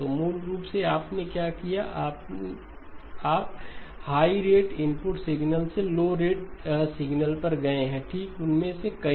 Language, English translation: Hindi, So basically what have you done you have gone from a higher rate input signal to a lower rate signal, okay, multiple of them